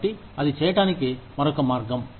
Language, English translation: Telugu, So, that is another way of doing it